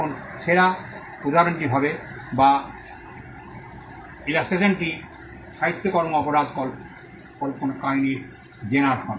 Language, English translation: Bengali, Now the best instance would be, or 1 illustration would be the genre in literary works crime fiction